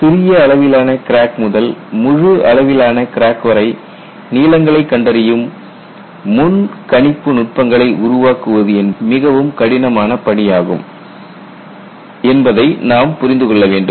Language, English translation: Tamil, And development of predictive techniques to address the full range of crack lengths down to very small cracks is a very difficult task